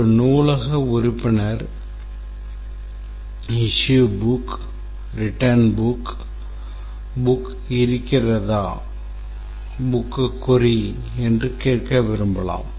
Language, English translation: Tamil, A library member might like to issue book, return book, query whether a book is available